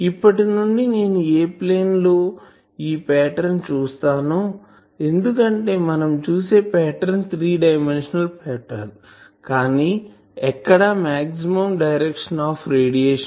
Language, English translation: Telugu, Now from here and let us say that in which plane I am seeing this pattern because we have seen pattern is a three dimensional pattern, but this pattern is in a plane where I have the maximum direction of radiation